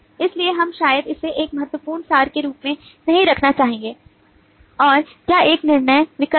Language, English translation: Hindi, so we probably would not like to put as a key abstractions and that is a judgement choice